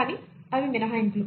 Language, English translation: Telugu, But they are exceptions